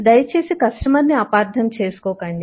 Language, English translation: Telugu, no, please do not misunderstand the customer